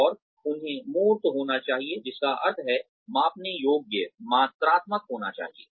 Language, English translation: Hindi, And, they should be tangible, which means measurable, quantifiable